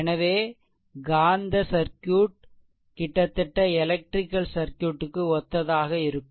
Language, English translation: Tamil, So, you will find magnetic circuit also will be analogous to almost electrical circuit, right